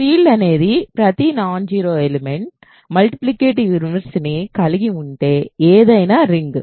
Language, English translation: Telugu, A field is a ring in which every non zero element has a multiplicative inverse